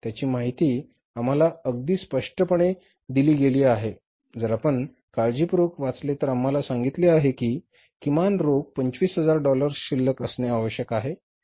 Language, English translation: Marathi, It is given in the case if you read it carefully is given to us that minimum cash balance required is $25,000 to be maintained all the times